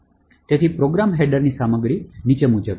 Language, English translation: Gujarati, So, the contents of the program header are as follows